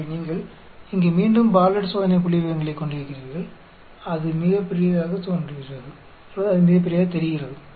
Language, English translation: Tamil, So you have here, again a Bartlett's test statistics it looks quite big